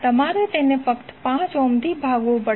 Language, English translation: Gujarati, You have to simply divide it by 5 ohm